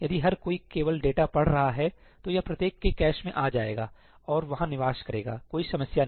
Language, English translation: Hindi, If everybody is only reading data it will come into each one’s cache and reside over there no issues at all